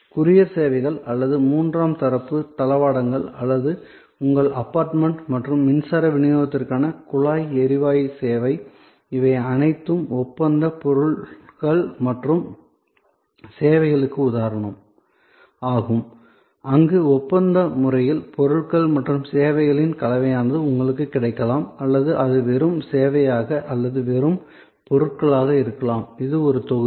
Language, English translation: Tamil, So, courier services or services like third party logistics or piped gas service to your apartment and electricity supply, all these are example of contractual goods and services, where contractually either a combination of goods and services may be available to you or it can be just service or it can be just goods and this is one block